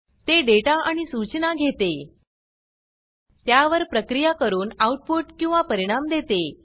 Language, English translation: Marathi, It takes data and instructions, processes them and gives the output or results